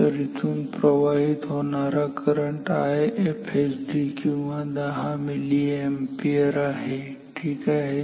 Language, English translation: Marathi, So, here the current that is flowing is IFSD or 10 milliampere ok